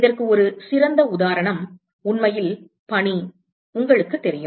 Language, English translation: Tamil, An excellent example of this is actually snow, you know